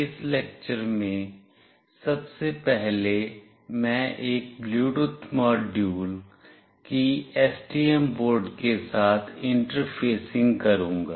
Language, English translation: Hindi, In this lecture, firstly I will be interfacing with the STM board a Bluetooth module